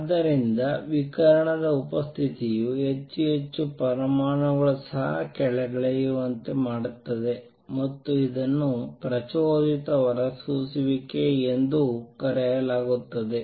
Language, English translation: Kannada, So, presence of radiation makes more and more atoms also come down and this is known as stimulated emission